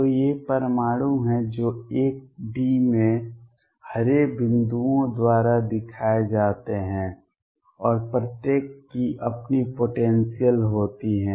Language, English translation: Hindi, So, these are the atoms which are shown by green dots in 1D, and each one has it is own potential